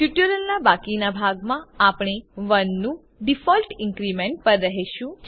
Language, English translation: Gujarati, In the rest of this tutorial, we will stick to the default increment of 1